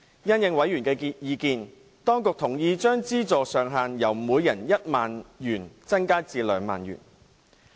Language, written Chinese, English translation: Cantonese, 因應委員的意見，當局同意將資助上限由每人1萬元增加至2萬元。, Having regard to members views the authorities agreed to raise the subsidy ceiling from 10,000 to 20,000 per person